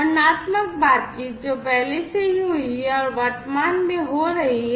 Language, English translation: Hindi, Descriptive talks about what has already happened and is currently happening